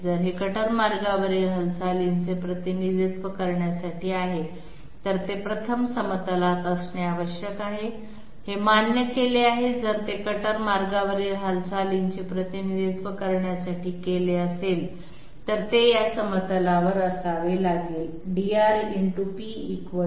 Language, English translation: Marathi, If this happens to represent a movement on the cutter path, then it 1st has to be on the plane that is accepted yes, if it is made to represent the movement on the cutter path then it has to lie on this plane